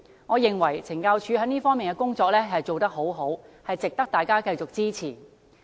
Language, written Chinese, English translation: Cantonese, 我認為懲教署這方面的工作做得很好，值得大家繼續支持。, I think that CSD has done a great job in this respect and is worthy of our continuous support